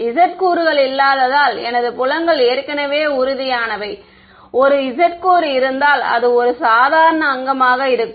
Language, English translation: Tamil, My fields are already tangential because there is no z component; right, if there were a z component that would be a normal component right